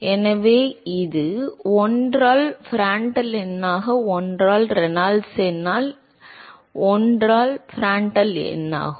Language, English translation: Tamil, So this is 1 by Prandtl number into 1 by Reynolds number this is 1 by Prandtl number